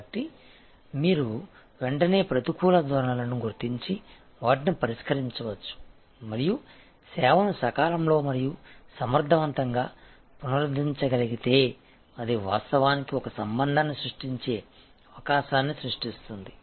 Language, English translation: Telugu, So, that you can immediately spot negative trends and address those and if the service can be recovered in time and efficiently, then it actually creates an opportunity to create a relationship, which we call service paradox